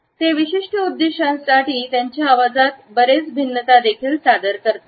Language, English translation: Marathi, They also introduce quite a lot of variation into their voices for particular purposes